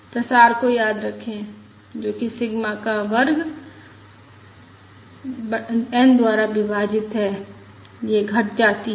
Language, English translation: Hindi, Remember the spread, which is sigma square divided by n